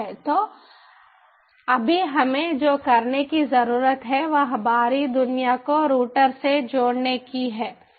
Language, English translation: Hindi, so right now, what we need to do is, ah, is connect the outside world to the router